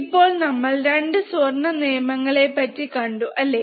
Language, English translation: Malayalam, Now, we have also seen 2 golden rules, isn't it